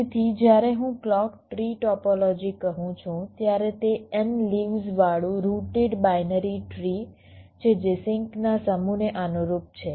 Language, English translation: Gujarati, so when i say a clock tree topology, it is a rooted binary tree with n leaves corresponding to the set of sinks and internal nodes